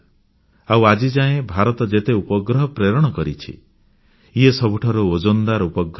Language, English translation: Odia, And of all the satellites launched by India, this was the heaviest satellite